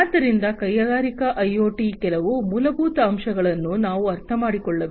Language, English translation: Kannada, So, we need to understand some of the basics of Industrial IoT